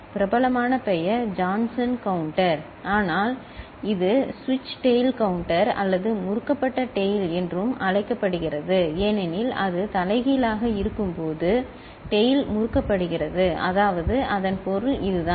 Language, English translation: Tamil, Popular name is Johnson counter, but it is also called switched tail counter or twisted tail because tail is twisted when it is inverted that is that is the meaning of it